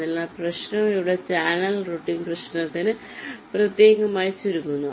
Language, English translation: Malayalam, so the problem boils down specifically to the channel routing problem here, right